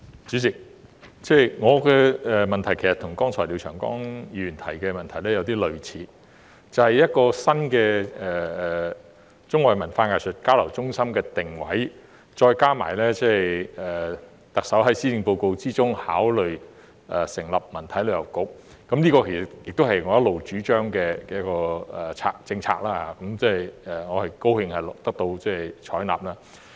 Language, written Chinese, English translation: Cantonese, 主席，我的補充質詢跟廖長江議員剛才提出的有點類似，便是有關新的中外文化藝術交流中心的定位，再加上特首在施政報告中考慮成立的文體旅遊局，這其實也是我一直主張的政策，我高興得到採納。, President my supplementary question is somewhat similar to the one raised by Mr Martin LIAO just now that is the positioning of the new hub for arts and cultural exchanges between China and the rest of the world as well as the establishment of the CST Bureau as considered by the Chief Executive in the Policy Address . This is in fact a policy which I have been advocating and I am glad that it has been adopted